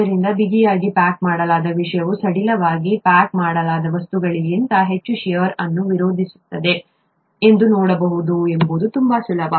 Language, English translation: Kannada, So it is quite easy to see that the tightly packed thing is going to resist shear much more than the loosely packed thing